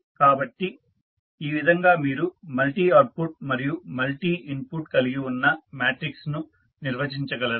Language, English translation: Telugu, So, this is how you define the matrix which contains the multiple output and multiple input